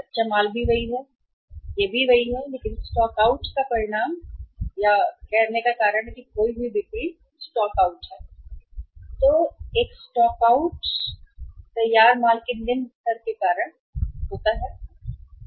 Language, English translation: Hindi, Raw material also same, this also same but stock out is the result of or is the, is the the cause of the stock out or the say lost sales is the stockouts an stockouts are because of the low level of the finished goods inventory